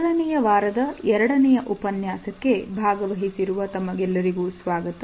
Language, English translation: Kannada, Welcome dear participants to the second module of the first week